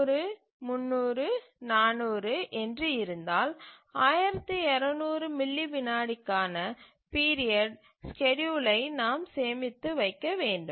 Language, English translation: Tamil, So, if we have 100, 300 and let's say 400, then we need to store the period the schedule for a period of 1,200 milliseconds